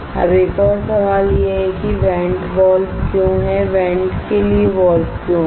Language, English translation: Hindi, Now another question is why there is a vent valve why there is a valve for the vent